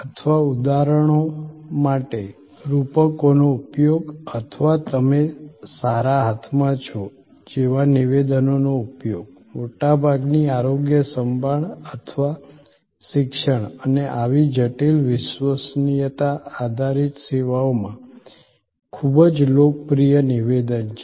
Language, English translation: Gujarati, Or the use of metaphors for examples, or use of statements like you are in good hands, a very popular statement in most health care or education and such complex, credence based services